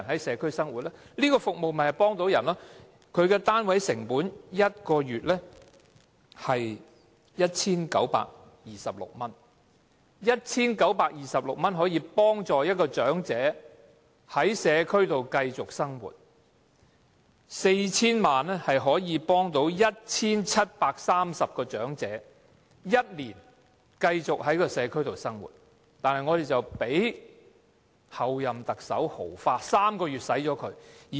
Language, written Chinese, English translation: Cantonese, 這項服務的單位成本是每月 1,926 元 ，1,926 元便可以幫助一位長者在社區繼續生活，而 4,000 萬元則可以幫助 1,730 名長者繼續在社區生活一年，但當局竟讓候任特首豪花，在3個月內花光。, The unit cost of these services is 1,926 monthly . If merely 1,926 will help an elderly person to continue to live in the community then 40 million will suffice to help 1 730 elderly persons to continue to live in the community for a year . But now the authorities allow the Chief Executive - elect to lavish the money in three months